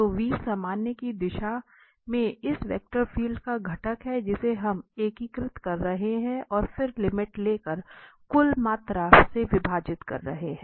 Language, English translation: Hindi, So, v the component of this vector field in the direction of the normal and then we are integrating over the surface and then dividing by the total volume taking the limit